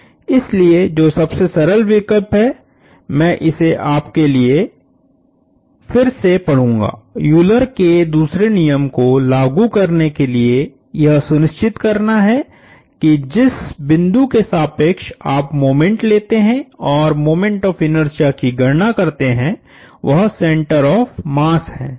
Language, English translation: Hindi, So, a simplest choice, I will read it to you again for applying Euler’s second law is to ensure that the point about which you take moments and calculate the inertia, moment of inertia is the center of mass